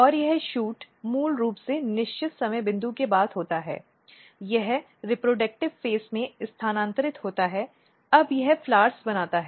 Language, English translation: Hindi, And this shoot basically after certain time point, it transit to the reproductive phase, now it makes flowers